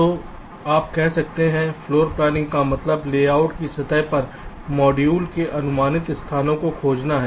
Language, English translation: Hindi, so you can say, floor planning concerns finding the approximate locations of the modules on the layout surface